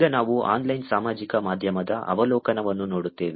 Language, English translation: Kannada, Now, we will look at overview of Online Social Media